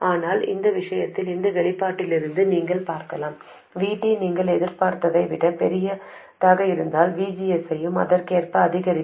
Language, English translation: Tamil, But in this case, you can see from this expression, if VT is larger than you expected, VGS also would increase correspondingly